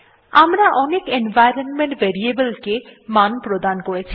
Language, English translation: Bengali, We have assigned values to many of the environment variables